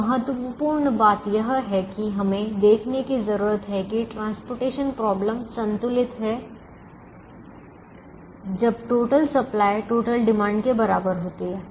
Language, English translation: Hindi, now the important, the important thing that we need to look at is: the transportation problem is balanced when total supply equals total demand